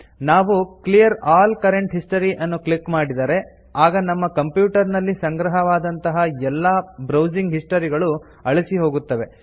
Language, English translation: Kannada, If we click on Clear all current history then all the browsing history stored on the your computer will be cleared